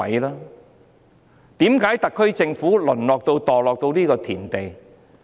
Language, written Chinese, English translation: Cantonese, 為何特區政府會淪落、墮落到這個田地？, Why has the SAR Government relegated to such a state